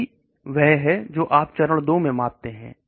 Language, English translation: Hindi, So all these are measured in phase 2